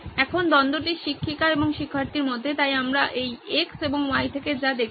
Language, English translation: Bengali, Now the conflict is between the teacher and the student so that’s what we are looking at from on this x and y